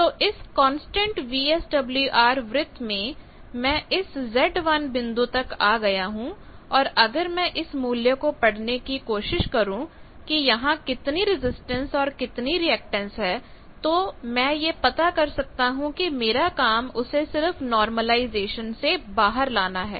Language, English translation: Hindi, So, on constant VSWR circle basically I have come to this z one point come to this point and this value if I read that what is the resistance value and reactance values then that I can find and then my job is to ab normalize it to that